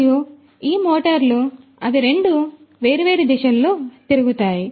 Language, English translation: Telugu, And, these motors they rotate in two different directions